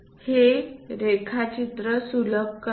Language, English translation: Marathi, It simplifies the drawing